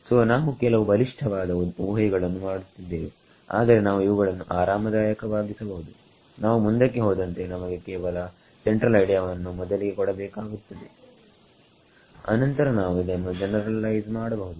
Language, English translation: Kannada, So, we are making some very strong assumptions, but we will relax these as we go we want to just give the central idea first then we can generalize it